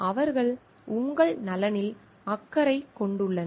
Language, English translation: Tamil, They are concerned about your wellbeing